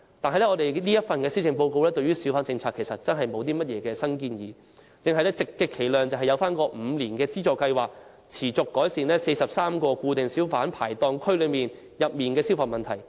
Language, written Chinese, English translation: Cantonese, 這份施政報告對小販政策實際上沒有提出甚麼新建議，而只是推行為期5年的資助計劃，以及改善43個固定小販排檔區的消防問題。, Actually the Policy Address has not put forward any new proposals regarding the hawker policy . The Government has merely focused on implementing the five - year Assistance Scheme and ameliorating the fire safety problems of 43 fixed - pitch hawker areas